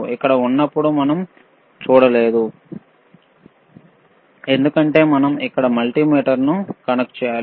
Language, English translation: Telugu, Here we can also see the value, while here we cannot see right because we have to connect a multimeter here